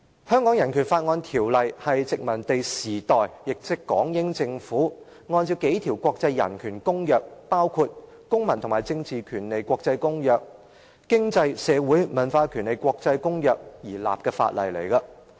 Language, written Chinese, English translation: Cantonese, 《香港人權法案條例》是殖民地時代，港英政府按照數項國際人權公約，包括《公民權利和政治權利國際公約》和《經濟、社會與文化權利的國際公約》而訂立的法例。, BORO is an ordinance enacted by the British Hong Kong Government in accordance with several international human rights treaties including the International Covenant on Civil and Political Rights ICCPR and the International Covenant on Economic Social and Cultural Rights during the colonial era